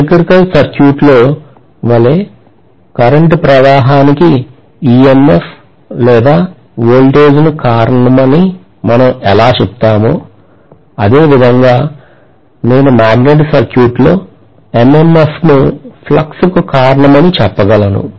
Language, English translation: Telugu, Just like in an electrical circuit, how we say that EMF or voltage causes current flow” I can say the same way in a magnetic circuit, I am going to have MMF causing the flux